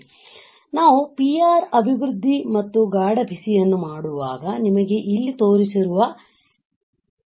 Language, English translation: Kannada, So, when we do PR developing and hard bake; you get this particular wafer which is shown right over here